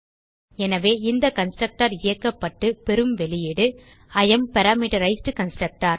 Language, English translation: Tamil, So this constructor is executed and we get the output as I am Parameterized Constructor